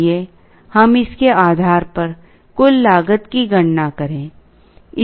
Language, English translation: Hindi, Let us calculate the total cost based on this